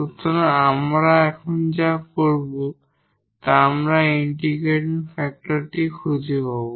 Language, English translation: Bengali, So, that will be the integrating factor